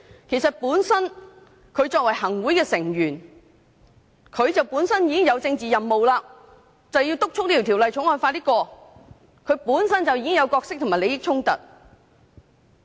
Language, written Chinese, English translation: Cantonese, 其實作為行會成員，他們本身已經有政治任務，要督促《條例草案》盡快通過，當中存在角色及利益衝突。, In fact as Executive Council Members they themselves are tasked with the political mission of pressing for early passage of the Bill which involves conflicts of roles and interests